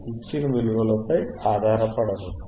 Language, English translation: Telugu, Do not rely on given values